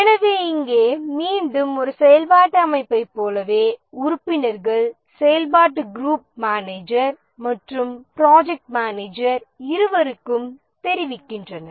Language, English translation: Tamil, So here again, just like a functional organization, the members report to both functional group manager and the project manager